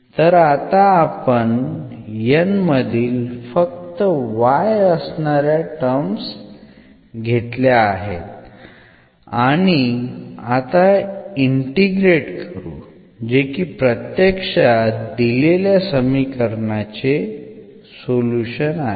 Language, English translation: Marathi, So, only the terms of y if we take from N and then this integrate here that is exactly the solution of the given differential equation